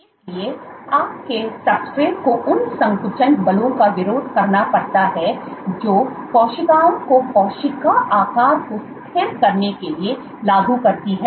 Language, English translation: Hindi, So, your substrate has to resist the contractile forces that cells exert in order to stabilize cell shape